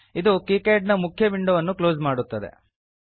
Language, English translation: Kannada, This will close the KiCad main window